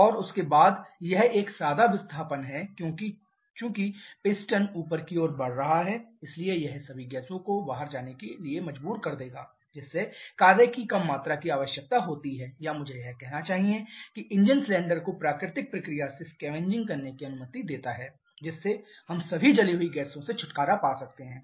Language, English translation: Hindi, And after that it is a plain displacement because as the piston is moving upward, so that will force all the gaseous to go out, thereby allowing a less amount of work requirement or I should say thereby allowing a more natural process of scavenging the engine cylinder, thereby we can get rid of all the burnt gases